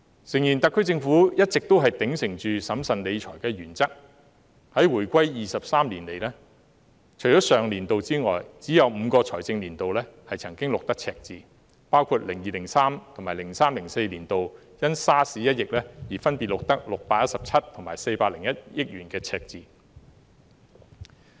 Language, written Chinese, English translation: Cantonese, 誠然，特區政府一直都秉承審慎理財的原則，回歸23年以來，除了上年度外，只有5個財政年度曾經錄得赤字，包括 2002-2003 年度及 2003-2004 年度因 SARS 一役而分別錄得617億元及401億元的赤字。, Undeniably the Special Administrative Region Government has always upheld the principle of managing public finances with prudence . Over the past 23 years since the reunification only five financial years have recorded a deficit apart from last year including the year of 2002 - 2003 and the year of 2003 - 2004 which respectively saw a deficit of 61.7 billion and 40.1 billion due to the outbreak of SARS